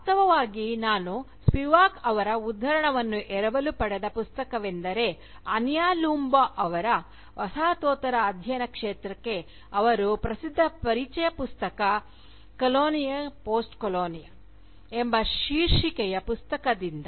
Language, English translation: Kannada, In fact, the Book from which I borrowed Spivak's quotation, is Ania Loomba’s famous introduction to the field of Postcolonial studies titled, Colonialism/Postcolonialism